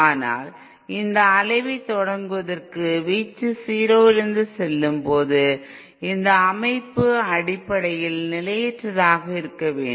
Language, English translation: Tamil, But for it to start oscillation that is for its amplitude to go from its 0 value the system has to be fundamentally unstable